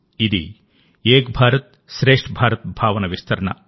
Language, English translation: Telugu, This is the extension of the spirit of 'Ek BharatShreshtha Bharat'